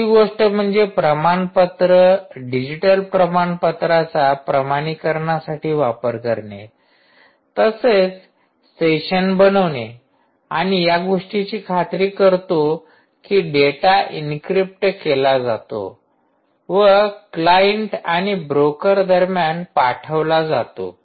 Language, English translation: Marathi, third thing is: use huge certificates, digital certificates, both for authentication as well as for creating sessions and ensuring that data is encrypted and send between the client and the broker